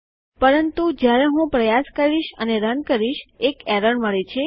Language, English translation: Gujarati, But when I try and run this, we get an error